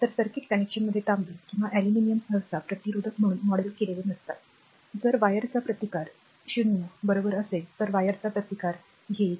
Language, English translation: Marathi, So, in circuit connection copper or aluminum is not usually modeled as a resistor, you will take resistance of the wire in the if you take resistance of wire is 0, right